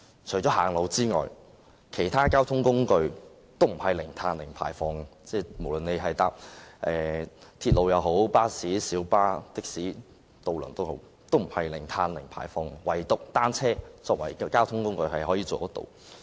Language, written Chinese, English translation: Cantonese, 除了步行外，其他交通工具均不是零碳和零排放，鐵路、巴士、小巴、的士及渡輪都不是，唯獨以單車作為交通工具，可以做得到這樣。, Except for walking no mode of transport produces zero carbon and zero emission be it the railway buses minibuses taxis or ferries . Only bicycles can do so as a mode of transport